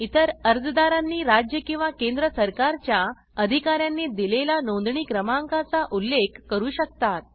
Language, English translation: Marathi, Other applicants may mention registration number issued by State or Central Government Authority